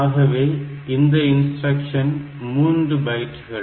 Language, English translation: Tamil, So, it will be a 3 byte instruction